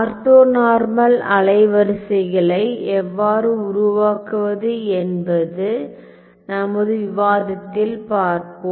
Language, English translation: Tamil, We will also see in our discussion as to how to construct orthonormal wavelets ok